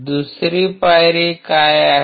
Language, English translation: Marathi, What is the second step